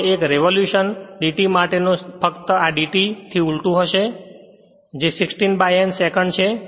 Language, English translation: Gujarati, Now time for one revolution d t will be just reciprocal of this d t will be 60 upon N second right